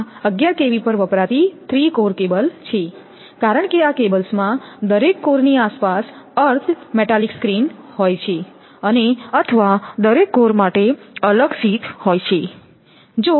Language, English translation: Gujarati, This is the 3 core cable used at 11 kV because these cables have an earth metallic screen around each core and or have separate sheath for each core